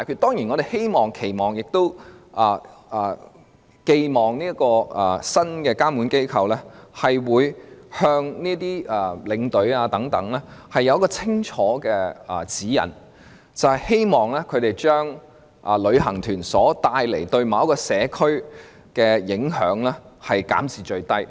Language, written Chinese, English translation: Cantonese, 當然，我們希望這個新的監管機構，可以向領隊發出清楚的指引，將旅行團對社區的影響減至最低。, Certainly we hope this new regulatory body can issue clear guidelines to tour escorts so as to minimize the impacts caused to the community by tour groups